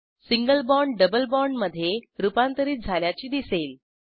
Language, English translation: Marathi, Observe that Single bond is converted to a double bond